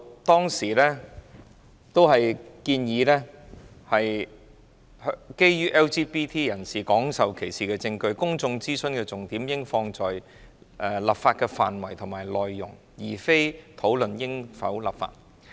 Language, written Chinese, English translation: Cantonese, 當時建議，基於已有證據顯示 LGBT 人士廣受歧視，公眾諮詢的重點應放在討論立法的範圍及內容，而非討論應否立法。, Given the evidence of widespread discrimination against LGBT people it was recommended at the time that the consultation focus on the scope and possible content of the legislation rather than whether there should be legislation